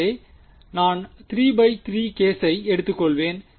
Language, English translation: Tamil, So, I will just take a 3 by 3 case